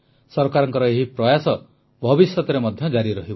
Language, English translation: Odia, The efforts of the Government shall also continue in future